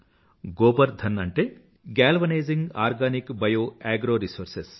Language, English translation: Telugu, An effort was initiated which was named GOBARDhan Galvanizing Organic Bio Agro Resources